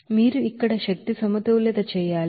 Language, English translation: Telugu, Now, you have to do the energy balance there